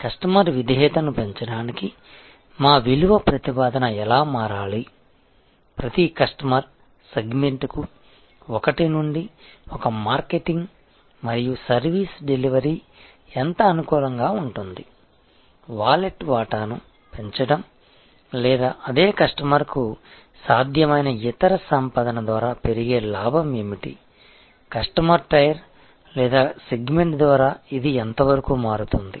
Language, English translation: Telugu, That how should our value proposition change to increase customer loyalty, how much customization were one to one marketing and service delivery is appropriate for each customer segment, what is incremental profit potential by increasing the share of wallet or the other earning possible for the same customer, how much does this vary by customer tier or segment